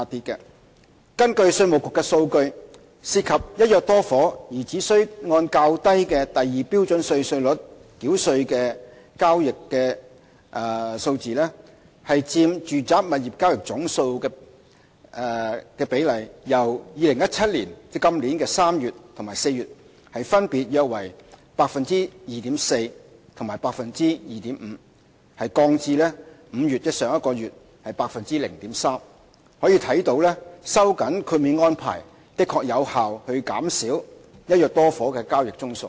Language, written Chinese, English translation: Cantonese, 根據稅務局的數據，涉及"一約多伙"而只須按較低的第2標準稅率繳稅的交易的數字佔住宅物業交易總數的比例，由2017年3月及4月的分別約 2.4% 和 2.5% 降至5月的 0.3%， 可見收緊豁免安排的確有效減少"一約多伙"的交易宗數。, According to IRDs statistics the ratio of residential property transactions which involve the purchase of multiple flats under one agreement to the total number of transactions has dropped from 2.4 % and 2.5 % in March and April respectively to 0.3 % in May in 2017 . This shows that the tightening of the exemption arrangement has indeed effectively reduced the number of transactions involving the purchase of multiple flats under one agreement